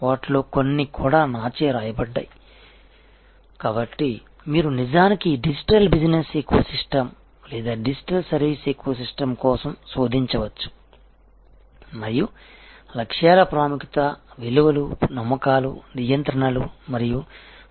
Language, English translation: Telugu, Some of them are also written by me, so you can actually search for this digital business ecosystem or digital service ecosystem and see the importance of goals, importance of values, beliefs, controls and procedures